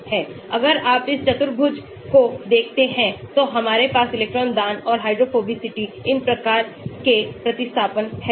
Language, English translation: Hindi, whereas if you look in this quadrant we have electron donating and hydrophobicity, these types of substituents